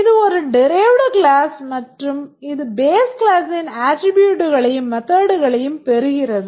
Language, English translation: Tamil, It's a derived class and it inherits the attributes and methods of the base class